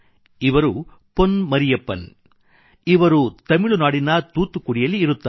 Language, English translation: Kannada, He is Pon Mariyappan from Thoothukudi in Tamil Nadu